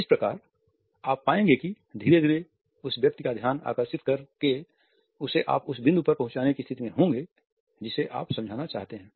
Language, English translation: Hindi, So, you would find that gradually by captivating the eyes of the other person, you would be in a position to make the other person look at the point you want to highlight